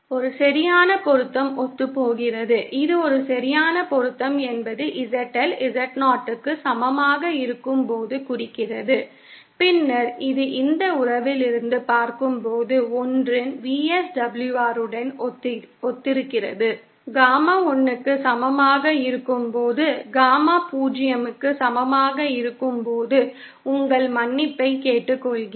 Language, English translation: Tamil, A perfect matching corresponds, that is a perfect matching refers to when the ZL is equal to Z0, then that corresponds to a VSWR of one as seen from this relationship, that is when Gamma is equal to 1, so when Gamma is equal to 0, I beg your pardon